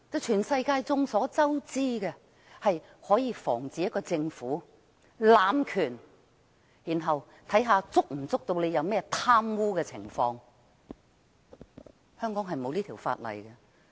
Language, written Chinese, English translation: Cantonese, 眾所周知，這法例可以防止政府濫權，然後看看它有沒有貪污的情況，但香港偏偏沒有這法例。, We all know that it can prevent abuse of power by the Government and it enables us to examine whether there is corruption on the Governments part but it happens that Hong Kong does not have this law